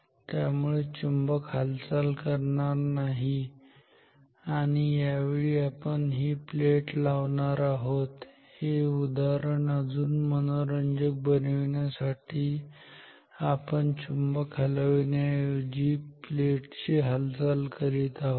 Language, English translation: Marathi, So, the magnet is not moving this time we are moving this plate ok, to make the example a bit more interesting we are moving the plate instead of moving the magnet